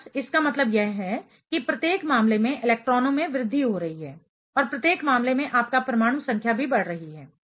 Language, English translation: Hindi, Simply, that does mean that the electrons each case electrons are increasing and each case your atomic number is also increasing